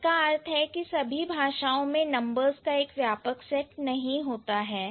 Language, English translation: Hindi, That means all languages may not have extensive set of numerals